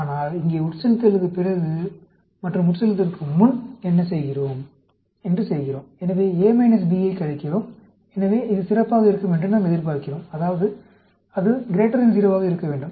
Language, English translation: Tamil, But here, we are doing it after infusion and before infusion; so, subtracting A minus B; so, we expect it to be better; that means, it should be greater than 0